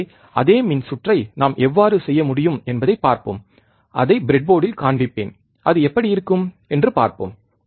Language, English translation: Tamil, So, let us see how we can do it the same circuit, I will show it to you on the breadboard, and then we will see how it looks like